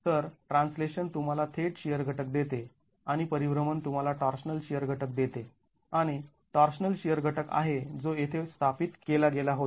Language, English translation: Marathi, So the translation gives you the direct shear component and the rotation gives you the torsional shear component